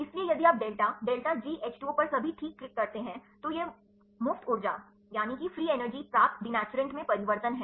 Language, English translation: Hindi, So, if you click on the delta delta G H 2 O all right, this is the change in the free energy obtained denaturant